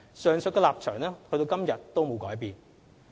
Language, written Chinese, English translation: Cantonese, 上述立場至今沒有改變。, This position still remains valid